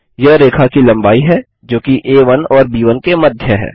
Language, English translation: Hindi, this is the length of the line which is between A1 and B1